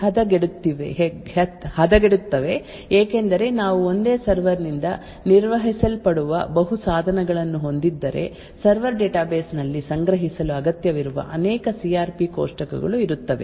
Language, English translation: Kannada, Therefore now things get much more worse because if we have multiple devices which are managed by a single server, there would be multiple such CRP tables that are required to be stored in the server database